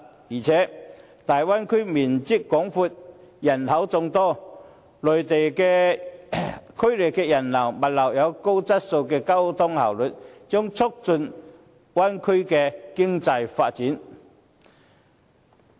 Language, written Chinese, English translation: Cantonese, 再者，大灣區面積廣闊、人口眾多，區內人流、物流有高質素的交通效率，將促進大灣區的經濟發展。, Moreover as the Bay Area occupies a vast area and its population is high a quality and efficient transport system for the flows of people and goods will help promote the economic development of the Bay Area